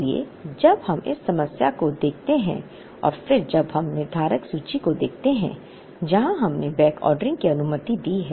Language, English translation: Hindi, So, when we look at this problem and then when we look at the deterministic inventory where, we allowed backordering